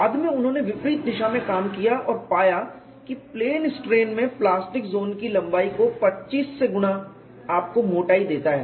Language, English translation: Hindi, Later on they work back work and found a relationship between plastic zone lengths in plane strain multiplied by 25 times gives to the thickness